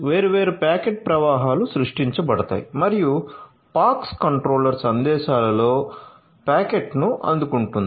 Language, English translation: Telugu, So, different packet flows are generated and the POX controller receives the packet in messages